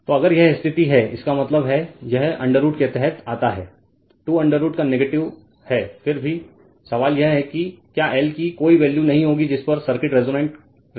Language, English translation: Hindi, So, if this condition is there; that means, under root comes square root of is negative then this question is what there will be no value of l will make the circuit resonance right